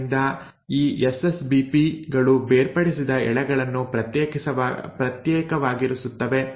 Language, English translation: Kannada, So this SSBPs will now keep the separated strands separated